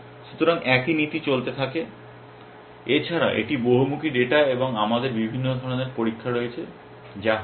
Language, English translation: Bengali, So, same principle holds except that this is of multifaceted data and we have different kind of test which are being